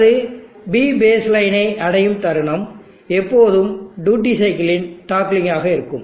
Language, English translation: Tamil, The moment it reaches the P base line there will always be the toggling of the duty cycle